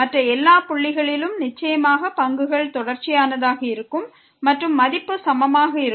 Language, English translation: Tamil, At all other points certainly the derivatives will be continuous and the value will be equal